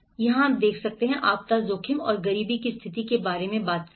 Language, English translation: Hindi, And where we talked about the disaster risk and poverty nexus